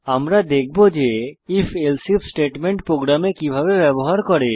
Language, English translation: Bengali, We will see how the If…Else If statementcan be used in a program